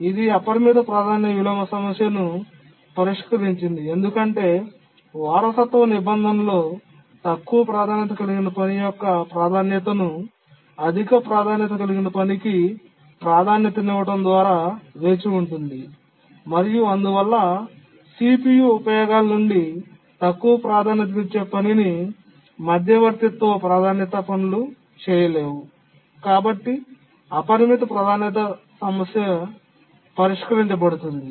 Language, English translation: Telugu, It solved the unbounded priority inversion problem because in the inheritance clause the priority of the low priority task is raised to the priority of the high task that is waiting, high priority task that is waiting and therefore the intermediate priority tasks that were preempting the low priority task from CPU users cannot do so and therefore the unbounded priority problem is solved